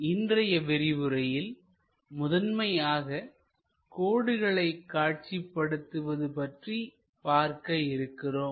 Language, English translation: Tamil, In today's lecture we will mainly cover about line projections